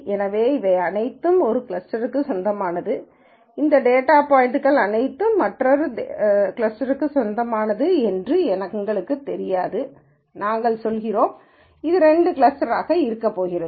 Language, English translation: Tamil, So, we do not know that this all belong to one cluster, all of these data points belong to another cluster we are just saying that are going to be two clusters that is it